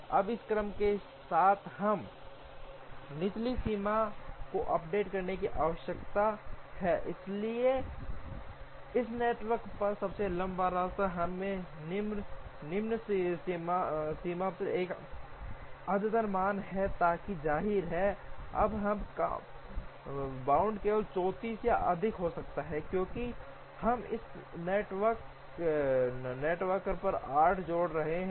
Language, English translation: Hindi, Now, with this sequence we now need to update the lower bound, so the longest path on this network will give us an updated value of the lower bound, so that; obviously, the lower bound now can only be 34 or more, because we are adding arcs on this network